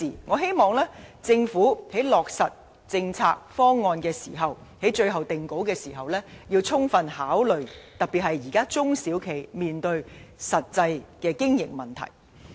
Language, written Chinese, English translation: Cantonese, 我希望政府在落實政策方案及最終定稿時要充分考慮各相關事宜，特別是現時中小企面對的實際經營問題。, I hope the Government can duly take into account all relevant factors when it implements and finalizes the proposal especially the real problem of business operations among SMEs